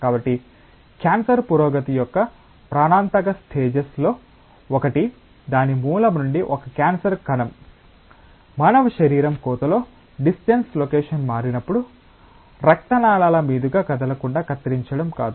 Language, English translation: Telugu, So, one of the lethal stages of cancer progression comes when a cancer cell from its origin moves to a distant location within the human body cutting, I mean not cutting across moving across the blood vessels